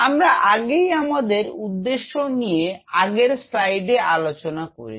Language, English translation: Bengali, So, we have already talked about the purpose in the previous slide